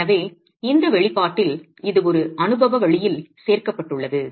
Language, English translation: Tamil, So, it's included in an empirical manner in this expression